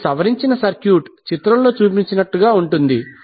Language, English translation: Telugu, So, your modified circuit will now be as shown in the figure